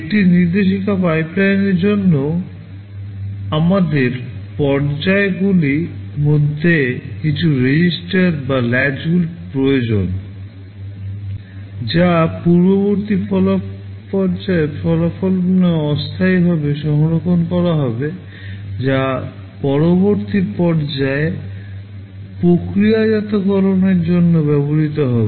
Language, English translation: Bengali, For a instruction pipeline also we need some registers or latches in between the stages, which will be temporary storing the result of the previous stage, which will be used by the next stage for processing